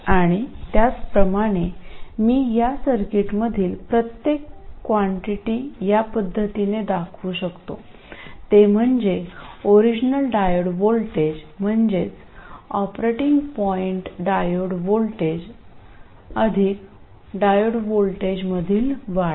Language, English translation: Marathi, And similarly I represent every quantity in the circuit, that is the actual diode voltage as the original diode voltage, the operating point diode voltage plus an increment in the diode voltage and so on